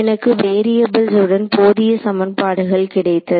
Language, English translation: Tamil, So, that I got enough equations in variables